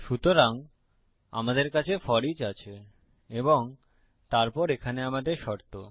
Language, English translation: Bengali, So, a FOREACH is like this So we have FOREACH and then we have our condition here